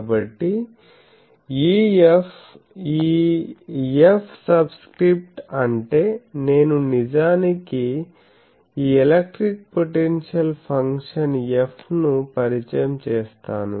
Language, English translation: Telugu, So, E F, this F subscript means that I will actually introduce the potential function F, electric vector potential, I will define that